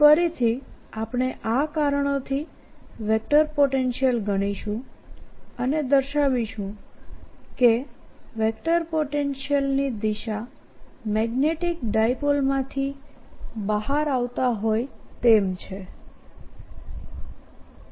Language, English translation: Gujarati, we'll calculate the vector potential due to this and show that vector potential goes to as if it's coming out of a magnetic dipole like this